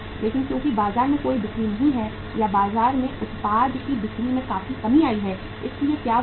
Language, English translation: Hindi, But because there is no sail in the market or the sale of the product in the market has been significantly reduced so what happened